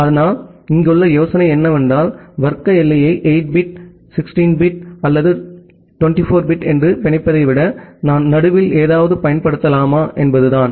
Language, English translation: Tamil, But the idea here is that rather than binding the class boundary at 8 bit, 16 bit or 24 bit, can I use something in middle